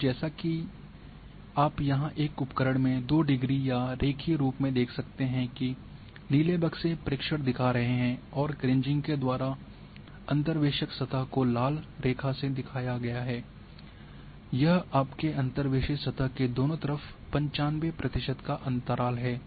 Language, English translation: Hindi, And as you can see here in a tool two degree or in a linear fascinate has been shown that these blue boxes are showing the observations and these interpolated surface through Kriging is a is shown in the red line and this is 95 percent confidence intervals on the both sides of your interpolated surface